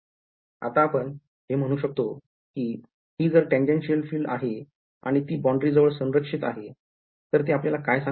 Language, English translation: Marathi, Now finally, now we can say, so given that this is the tangential field and it should be conserved at the boundary, what does this tell us